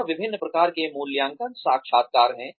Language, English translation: Hindi, And, there are various types of appraisal interviews